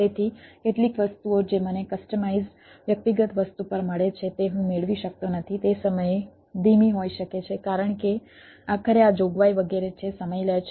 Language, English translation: Gujarati, so some of the things i may not get what i get on a on a customized personal thing at, can be slow at time because this is provisioning etcetera finally takes time